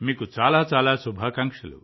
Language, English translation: Telugu, Many best wishes to you